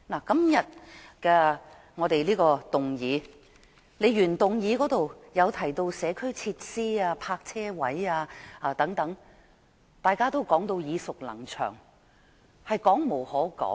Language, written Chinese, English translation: Cantonese, 今天的原議案提到社區設施、泊車位等，這些問題大家都耳熟能詳，已說無可說。, The original motion today mentions problems about community facilities parking spaces and so on which we are all too familiar with and have no further comments